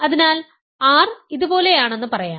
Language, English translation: Malayalam, So, say R is like this